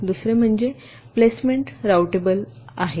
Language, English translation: Marathi, secondly, the placement is routable